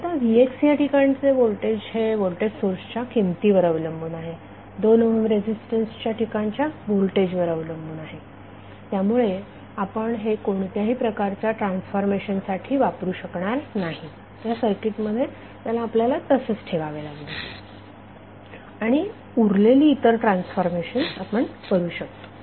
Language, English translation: Marathi, Now, Vx the voltage across this is depending upon the voltage source value is depending upon the voltage across 2 ohm resistance so, we cannot use this for any transformation we have to keep it like, this in the circuit, and rest of the transformations we can do